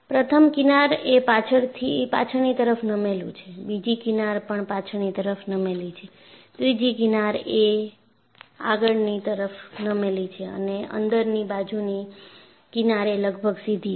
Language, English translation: Gujarati, The first fringe is backward tilted; the second fringe is also backward tilted; the third fringe is forward tilted and the inner fringe is almost straight